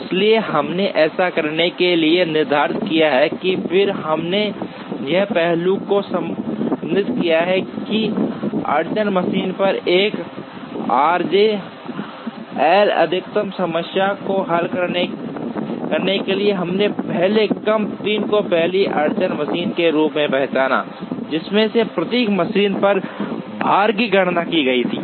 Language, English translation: Hindi, So, we set out to do that, and then we also related this aspect to solving a 1 r j L max problem on the bottleneck machine, we also identified first M 3 as the first bottleneck machine by first calculating the loads on each of these machines